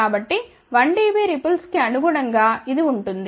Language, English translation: Telugu, So, corresponding to 1 dB ripple this is what it would be